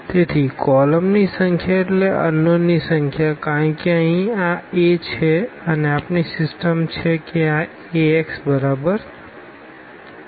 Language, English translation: Gujarati, So, the number of columns means the number of unknowns because here this is A and we have our system this Ax is equal to is equal to b